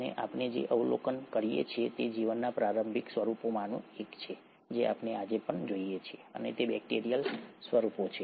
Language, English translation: Gujarati, And what we also observe is one of the earliest forms of lives are something which we even see them today and those are the bacterial forms